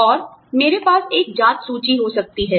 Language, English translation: Hindi, And, I can have a checklist